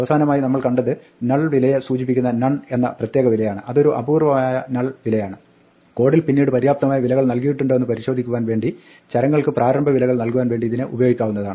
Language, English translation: Malayalam, Finally, we have seen that there is a special value none which denotes a null value, it is a unique null value and this can be used to initialize variables to check whether they have been assigned sensible values later in the code